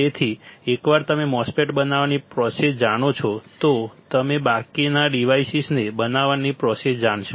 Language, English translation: Gujarati, So, for once you know the process to fabricate the MOSFET, you will know the process for fabricating rest of the devices all right